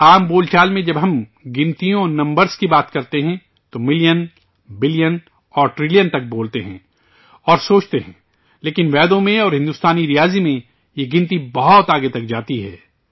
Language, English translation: Urdu, In common parlance, when we talk about numbers and numbers, we speak and think till million, billion and trillion, but, in Vedas and in Indian mathematics, this calculation goes much further